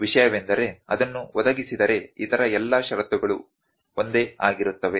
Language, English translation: Kannada, The thing is that if it is provided that all other conditions remains same